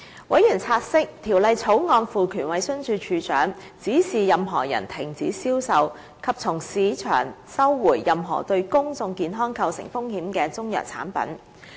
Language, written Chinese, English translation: Cantonese, 委員察悉，《條例草案》賦權衞生署署長，指示任何人停止銷售，以及從市場收回任何對公眾健康構成風險的中藥產品。, Members note that the Bill empowers the Director to direct any person to stop selling and to recall from the market any Chinese medicines or related products with public health risk